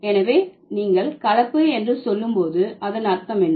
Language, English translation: Tamil, So, when you say blending, what should it mean